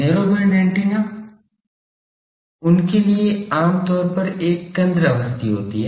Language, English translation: Hindi, Narrow band antennas: for them generally there is a centre frequency